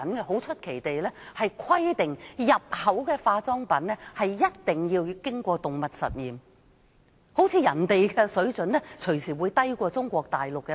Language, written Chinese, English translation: Cantonese, 很出奇地，中國還規定入口化妝品必須經過動物實驗，好像人家的化妝品安全標準隨時會低於中國大陸的。, Oddly enough China requires all imported cosmetics to have been tested on animals as if the safety standards of other countries for cosmetics are inferior to that of China